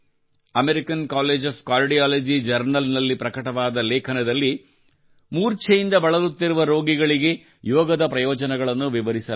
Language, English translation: Kannada, A paper published in the Journal of the American College of Cardiology describes the benefits of yoga for patients suffering from syncope